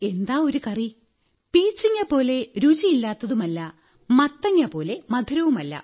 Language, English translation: Malayalam, Neither tasteless like ridge gourd nor sweet like pumpkin